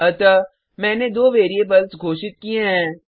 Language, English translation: Hindi, So I have declared two variables